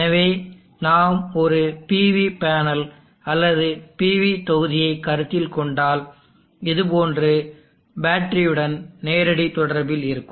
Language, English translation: Tamil, So if we consider a PV panel or PV module and to that we have a direct connection of the batter like this